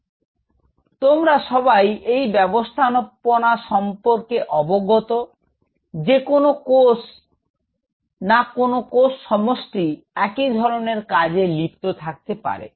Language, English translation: Bengali, So, all of you are aware about the organization; you have cells cluster of cells performing a common function